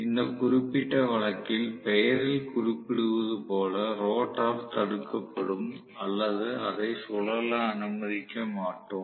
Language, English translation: Tamil, So, as the name indicates in this particular case rotor will be blocked or it will not be allowed to rotate